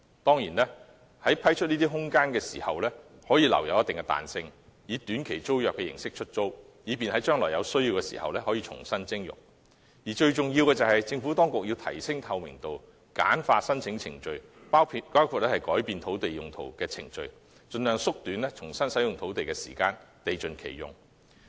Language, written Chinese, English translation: Cantonese, 當然，在批出空間時可保留一定彈性，以短期租約形式出租，以便將來有需要時可重新徵用；而最重要的是，政府當局要提升透明度，簡化申請程序，包括改變土地用途的程序，盡量縮短重新使用土地的時間，達致地盡其用。, Of course the Government may retain certain flexibility in granting these spaces by way of short - term tenancy so that it can recover these spaces when necessary in the future . Most importantly the Administration has to enhance transparency and streamline the application procedures including the process for changing land use with a view to shortening the time needed for the reuse of land in order to fully utilize land resources